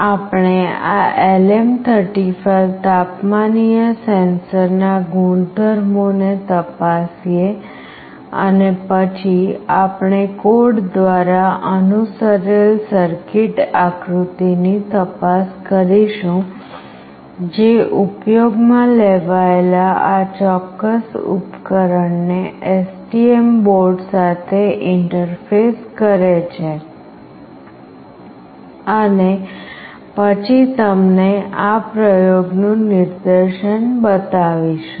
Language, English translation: Gujarati, We look into the properties of this LM35 temperature sensor and then we will look into the circuit diagram followed by the code that is used to interface this particular device with STM board, and then will show you the demonstration of this experiment